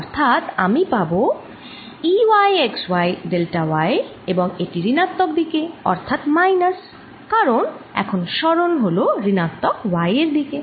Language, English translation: Bengali, so i am going to have e, y, x, y, delta y, and that is in the negative direction, so minus, because now the displacement is the negative y direction, right